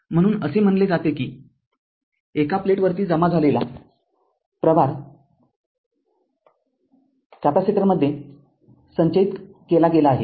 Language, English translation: Marathi, So, we can say that that the charge accumulates on one plate is stored in the capacitor